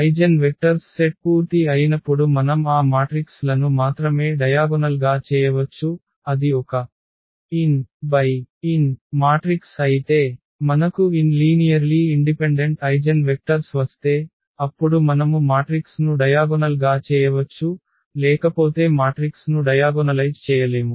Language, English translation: Telugu, We can diagonalize only those matrices when the eigen vectors the set of this eigen vectors is full means if it is a n by n matrix then if we get n linearly independent Eigen vectors then we can diagonalize the matrix, otherwise we cannot diagonalize the matrix